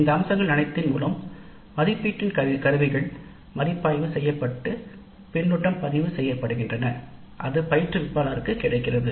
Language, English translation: Tamil, From all these aspects the assessment instruments are reviewed and the feedback is recorded and is made available to the instructor